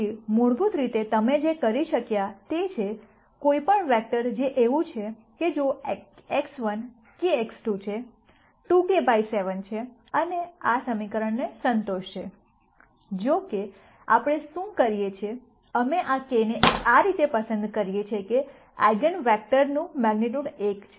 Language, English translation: Gujarati, So, basically what you could do is, any vector which is such that if x 1 is k x 2 is 2 k by 7 would satisfy this equation; however, what we do is, we choose this k in such a way that the magnitude of the eigenvector is 1